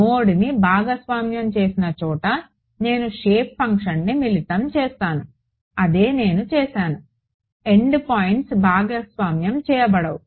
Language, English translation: Telugu, Wherever a node were shared I combined the shape function that is what I did, the end points could not be shared